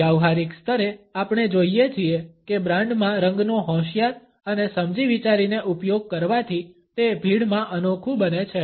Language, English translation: Gujarati, At the practical level we find that a clever and well thought out use of color in a brand makes it a standout in a crowd